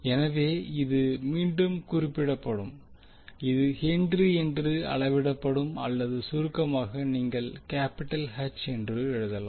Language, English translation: Tamil, So this will again be represented it will be measured in Henry’s or in short you can write as capital H